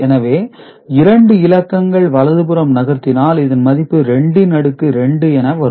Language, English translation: Tamil, So, 3 shift means to the left ok, so that means, it is 2 to the power 3